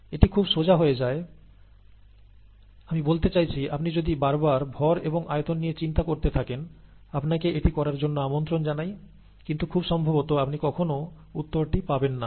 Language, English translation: Bengali, And this becomes very straight forward, I mean if you take the mass and if you keep thinking about the mass and volume and so on so forth; you are welcome to do it, but most likely you will probably never arrive at the answer